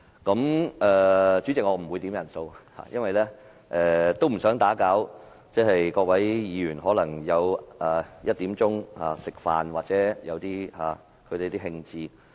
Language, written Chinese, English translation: Cantonese, 代理主席，我不會要求點算人數，因為我不想打擾各位議員在下午1時吃飯的興致。, Deputy President I will not ask for a headcount because I do not want to spoil the appetite of Members who are enjoying their lunch at 1col00 pm